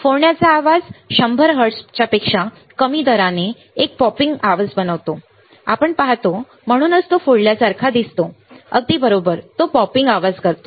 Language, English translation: Marathi, Burst noise makes a popping sound at rates below 100 hertz you see that is why it looks like a burst all right it makes a popping sound